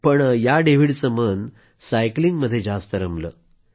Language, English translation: Marathi, But young David was obsessed with cycling